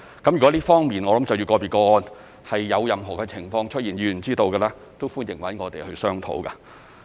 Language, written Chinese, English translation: Cantonese, 如果在這方面，就着個別個案有任何情況出現而議員是知道的，都歡迎與我們商討。, Should Members know something about individual cases in this regard we welcome them to discuss with us the issues concerned